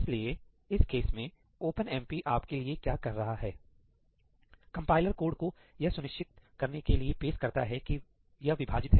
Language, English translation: Hindi, So, in this case what OpenMP does for you is that the compiler introduces code to ensure that this is split up